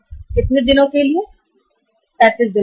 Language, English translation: Hindi, For how much period of time, say 35 days right